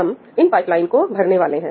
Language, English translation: Hindi, we are filling up these pipelines